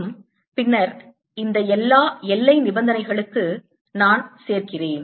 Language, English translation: Tamil, and then i add to all this the boundary conditions